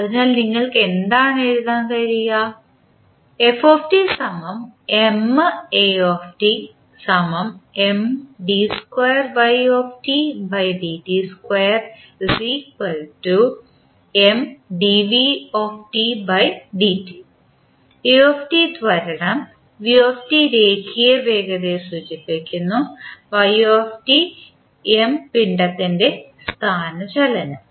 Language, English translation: Malayalam, a is nothing but the acceleration, v is the velocity and y is the displacement of the mass